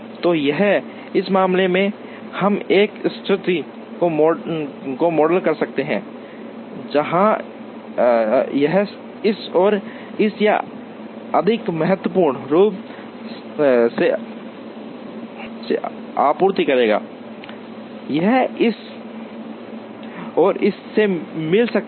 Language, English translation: Hindi, So, here in this case, we can model a situation, where this will supply to this and this or more importantly, this can get from this and this